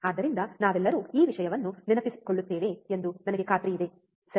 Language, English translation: Kannada, So, I am sure all of us remember this thing, right